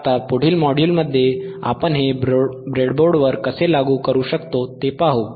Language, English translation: Marathi, Now, in the next module, let us see how we can implement this on the breadboard